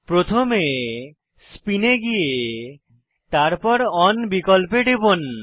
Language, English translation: Bengali, Scroll down to Spin and then click on option On